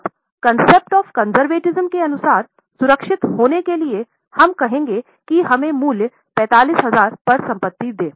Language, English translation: Hindi, Now, to be on safer side, as per the concept of conservatism, we will say that let us value the asset at 45,000